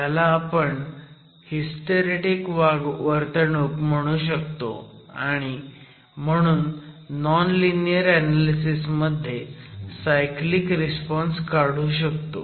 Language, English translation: Marathi, This can also be considered as a hysteric behavior and then cyclic response also can be carried out considering non linear, within a non linear analysis